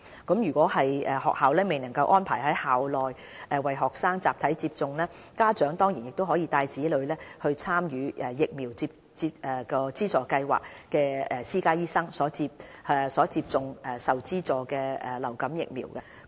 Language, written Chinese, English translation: Cantonese, 倘若學校未能安排在校內為學生集體接種疫苗，家長當然亦可帶同子女到參與疫苗資助計劃的私家醫生診所接種受資助的流感疫苗。, In case it is not feasible for schools to arrange their students to receive vaccination en masse parents of the students can still take their children to receive subsidized vaccination from private doctors enrolled in the Vaccination Subsidy Scheme